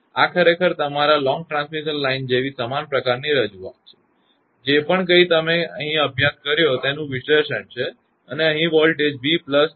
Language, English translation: Gujarati, This is actually almost same type of representation like your long transmission line that analysis whatever you have studied and voltage here will be v plus delta v upon delta x into d x